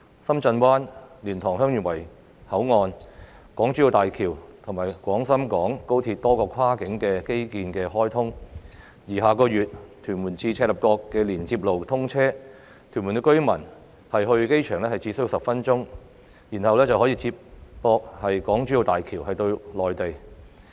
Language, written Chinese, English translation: Cantonese, 深圳灣、蓮塘/香園圍口岸、港珠澳大橋及廣深港高鐵多項跨境基建項目相繼開通，而下月屯門至赤鱲角連接路通車後，屯門居民到機場只需10分鐘，然後便可以接駁港珠澳大橋到內地。, Cross - boundary infrastructure projects such as Shenzhen Bay LiantangHeung Yuen Wai Boundary Control Point the Hong Kong - Zhuhai - Macao Bridge HZMB and the Guangzhou - Shenzhen - Hong Kong Express Rail Link have been completed for commissioning one after another . And with the commissioning of the Tuen Mun - Chek Lap Kok Link next month it will only take 10 minutes for Tuen Mun residents to get to the airport where they can then reach the Mainland via HZMB